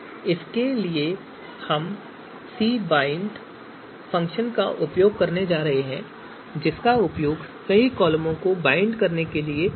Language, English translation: Hindi, So for this we are going to use cbind function so cbind function is actually for columns to bind a number of columns